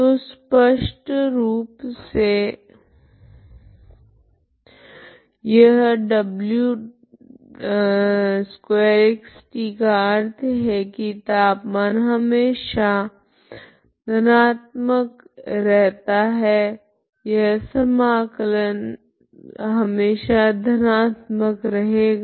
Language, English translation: Hindi, So clearly this is a square of w so implies the temperature is always positive this integral is always positive